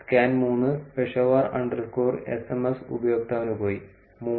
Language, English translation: Malayalam, And scan 3 Peshawar underscore sms went to the user 3